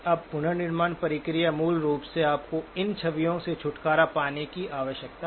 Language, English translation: Hindi, Now the reconstruction process basically requires you to get rid of these images